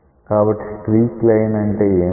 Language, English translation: Telugu, So, what is a streak line